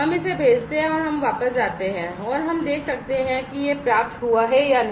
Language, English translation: Hindi, So, we send it, and we go back, and we can see whether it has been received or, not